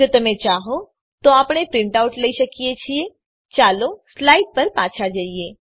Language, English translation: Gujarati, You can take a print out if you wish, let us go back to the slides